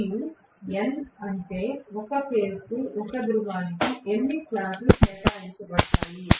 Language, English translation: Telugu, And N is how many slots are allocated per pole per phase